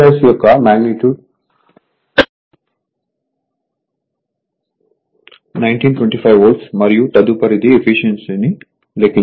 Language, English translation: Telugu, So, magnitude of V 2 1 1925 volt and next is the efficiency